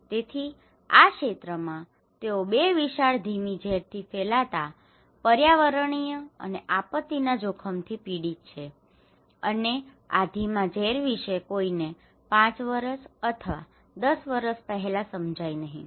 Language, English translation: Gujarati, So, this area they are suffering from 2 huge slow poisoning environmental and disaster risk, okay is that you are slow poison gradually and nobody is realizing until before 5 years or 10 years